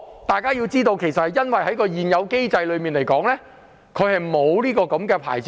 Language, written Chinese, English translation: Cantonese, 大家要知道，並不是他們不想領牌，而是現有機制沒有提供相關牌照。, However let me tell you it is not that they do not want to apply for a licence but there is no system to provide a corresponding licence for them